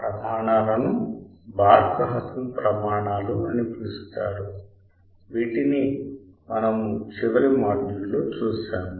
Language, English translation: Telugu, These criterias were called Barkhausen criteria which we have seen in the last module